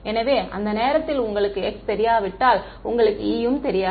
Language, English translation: Tamil, So, if you do not know chi you also do not know E at that point